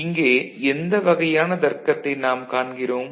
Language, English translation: Tamil, So, what kind of logic do we see